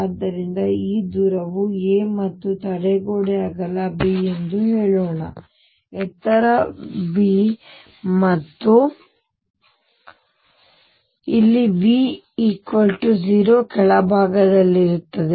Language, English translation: Kannada, So, let us say this distance is a and the barrier is of width b, the height is V and here V equals 0 at the bottom